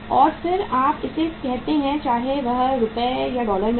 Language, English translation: Hindi, And then you call it whether it is in the rupees or dollars